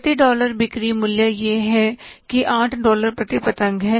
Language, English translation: Hindi, The selling price per dollar is the $8 per kite